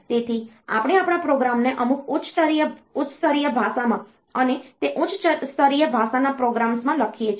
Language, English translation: Gujarati, So, we write our program in some high level language and those high level language programs